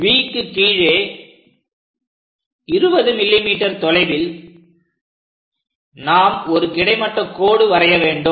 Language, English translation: Tamil, Now below V we have to go by 20 mm, where we are going to draw a horizontal line, the point 20 mm below